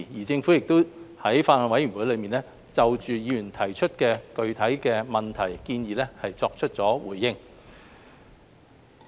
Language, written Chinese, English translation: Cantonese, 在法案委員會中，政府亦就議員提出的具體問題和建議作出了回應。, The Government has also responded to Members specific questions and suggestions in the Bills Committee